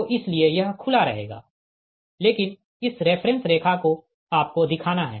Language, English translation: Hindi, so that's why this, this will remain open, but this reference line you have to show